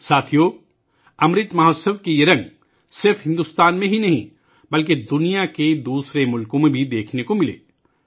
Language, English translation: Urdu, Friends, these colors of the Amrit Mahotsav were seen not only in India, but also in other countries of the world